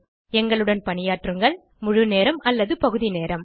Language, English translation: Tamil, Work with us, full time or part time